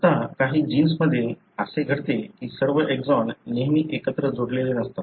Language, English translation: Marathi, Now, what happens in some of the genes is that not all the exons are joined together always